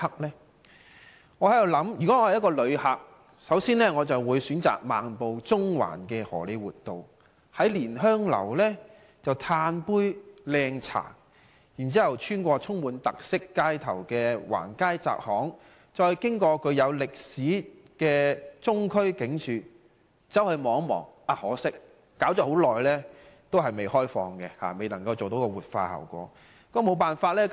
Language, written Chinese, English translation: Cantonese, 我想如果我是一位旅客，首先，我會選擇漫步中環的荷李活道，在蓮香樓喝一杯"靚茶"，然後穿過充滿特色的橫街窄巷，再進入具有歷史特色的中區警署看一看，可惜中區警署遲遲未能完成活化程序，未能開放。, If I were a visitor I would first stroll along Hollywood Road of Central and then have a cup of quality tea at Lin Heung Tea House . Then I would walk through some distinctive side streets and alleys and pay a visit to the Former Central Police Station which has unique historical characteristics . Unfortunately since the revitalization process of this former Police Station has yet to complete it is not open to the public